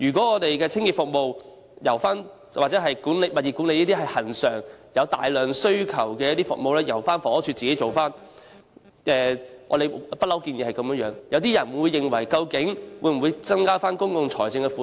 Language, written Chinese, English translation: Cantonese, 我們認為清潔服務或物業管理等恆常、有大量需求的服務應改由房署自行負責，這也是我們一直所建議的，但有人質疑會否增加公共財政的負擔。, We consider that regular routine services with great demand such as cleaning and property management services should be managed by HD itself and this is a proposal long advocated by us but some people have questioned whether this will add to the burden on public finance